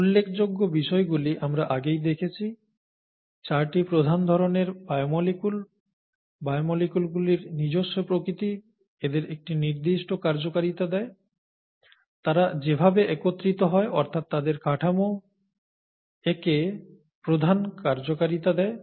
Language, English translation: Bengali, The take home message is something that we saw earlier; the 4 major kinds of biomolecules, their the very nature of the biomolecules gives it a certain amount of function, the way they’re put together, the structure, gives it its major function and so on, okay